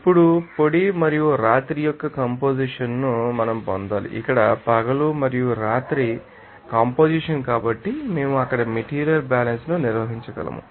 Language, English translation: Telugu, Now, we need to get the composition of the dry and night so, the composition of the day and night here so, we can carry out the material balance there